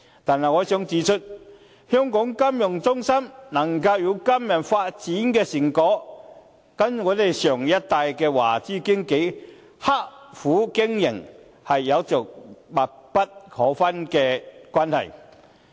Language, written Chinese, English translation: Cantonese, 但是，我想指出，香港金融中心能夠有今日發展的成果，跟我們上一代的華資經紀刻苦經營，是有着密不可分的關係。, Nevertheless I would like to say that the current development achievements of Hong Kong as a financial centre have very much to do with the hard work of the Chinese - invested brokers of our older generation . FSDC was set up under the fervent encouragement of the sector which thus has high expectations from it